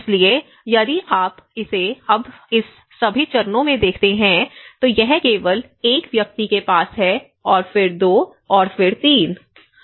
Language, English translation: Hindi, So, if you look at it now in all this time phases here it is only one person have 1; and then 2, then 3